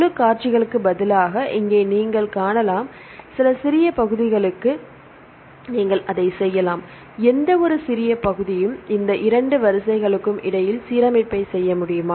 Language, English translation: Tamil, Here you can see instead of the whole sequences, you can do it for some small portions; whether any small portions we can have the alignment between these two sequences